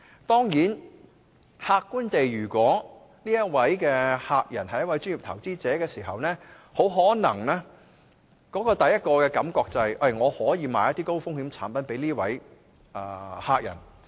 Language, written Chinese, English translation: Cantonese, 當然，客觀來說，如果我的客人是一位專業投資者，很可能我的第一個感覺就是：我可以售賣一些高風險產品給這客人。, Actually to be fair if my client is a professional investor I am very likely to think at the very beginning that I can sell some high - risk products to him